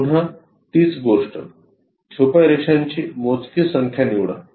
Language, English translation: Marathi, Again same thing fewest number of hidden lines we have to pick